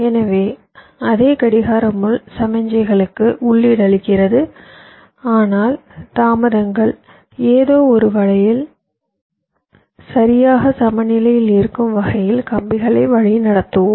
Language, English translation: Tamil, so the same clock pin is feeding the signal, but let us route the wires in such a way that the delays are getting balanced in some way